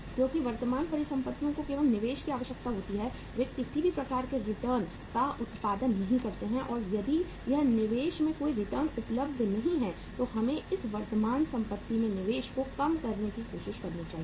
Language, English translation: Hindi, Because current assets are only requiring investment they do not produce any kind of the returns and if there is no return available on this investment then we should try to minimize the investment in the current assets